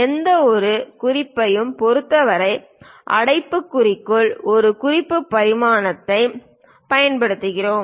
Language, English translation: Tamil, With respect to any reference we use a reference dimensions within parenthesis